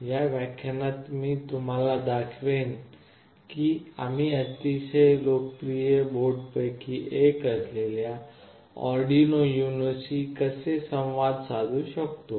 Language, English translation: Marathi, In this lecture I will be showing you how we can Interface with Arduino UNO, one of the very popular boards